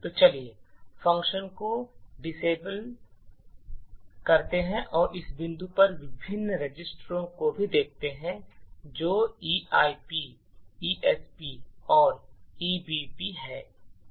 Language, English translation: Hindi, So, let us disassemble the function and at this point we would also, look at the various registers that is the EIP, ESP and the EBP